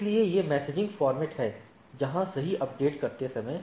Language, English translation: Hindi, So, these are the messaging format where while updating right